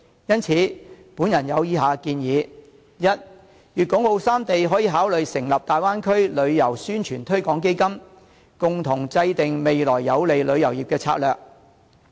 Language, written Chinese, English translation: Cantonese, 因此，我有以下建議：第一，粵港澳三地可以考慮成立大灣區旅遊宣傳推廣基金，共同制訂未來有利旅遊業的策略。, Hence I have the following suggestions . First Guangdong Hong Kong and Macao can consider setting up a tourism promotion fund on the Bay Area to jointly formulate future tourism strategies